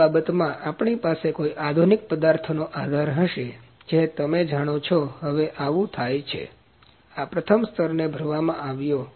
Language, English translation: Gujarati, In that case, we will have a support any modern materials you know now this is happening this first layer was brimmed